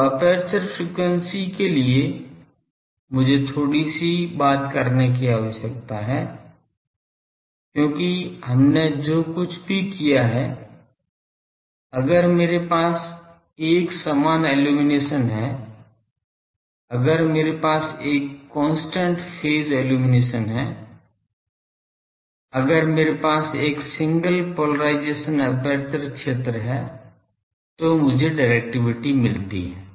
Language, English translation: Hindi, Now, aperture efficiency I need to talk a bit because whatever we have done that if I have an uniform illumination, if I have a constant phase illumination, if I have a single polarisation aperture field then I get the directivity I have found